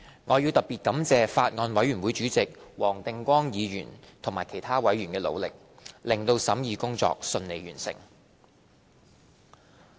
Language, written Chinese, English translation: Cantonese, 我要特別感謝法案委員會主席黃定光議員及其他委員的努力，令審議工作順利完成。, I would like to give my special thanks to the Chairman of the Bills Committee Mr WONG Ting - kwong and all other members of the Bills Committee for their efforts that enabled the scrutiny to be completed smoothly